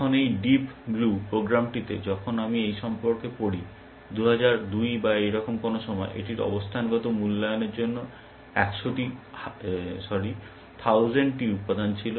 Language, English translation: Bengali, Now this program deep blue, and when I read about this is so in 2002 or something like that, it had a 1000 components to positional evaluation